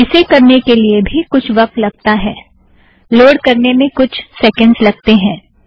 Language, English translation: Hindi, This also takes a little bit of time, a few seconds to load